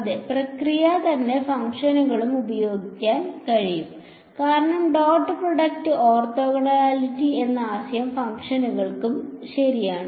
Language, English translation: Malayalam, The same process I can apply to functions because, the concept of dot product orthogonality holds to a functions also right